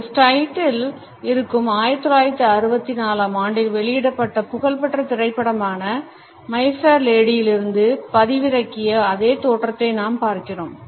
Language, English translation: Tamil, In this slide we look at a same downloaded from the famous movie My Fair Lady which was released in 1964